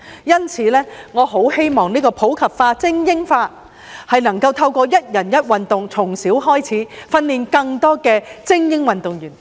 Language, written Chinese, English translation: Cantonese, 因此，我很希望普及化、精英化能夠透過"一人一運動"，從小開始訓練更多精英運動員。, Therefore I very much hope that in the course of promoting sports in the community and supporting elite sports the authorities can nurture more elite athletes from a young age through promoting the objective of one person one sport